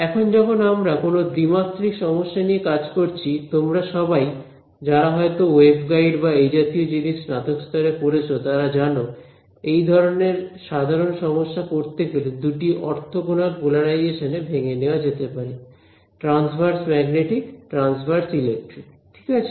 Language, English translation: Bengali, Now, when we deal with a 2D problem all of you who have probably studied wave guides and such things in your undergrad, you know that we can talk in terms of a general problem can be studied broken up in to a two orthogonal polarizations, transverse magnetic , transverse electric right